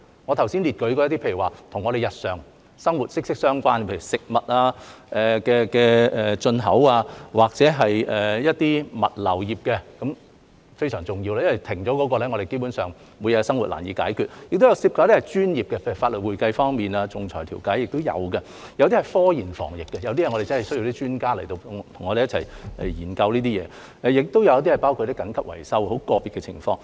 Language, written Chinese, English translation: Cantonese, 我剛才列舉的，有與我們日常生活息息相關的，例如食物進口或物流業，皆非常重要，因為一旦停頓，我們基本上每日的生活便難以解決；此外也有涉及一些專業的，例如法律、會計、仲裁調解；有些是涉及科研防疫的，我們真的需要專家與我們一同研究這些事情；亦有一些是包括緊急維修等很個別的情況。, For example the food import industry and the logistics industry are very important because once they grind to a halt it will basically be difficult for us to normally live our daily lives . These aside some categories involve professions such as law accounting arbitration and mediation . Some are related to scientific research and epidemic prevention because we really need experts to join us in studying these matters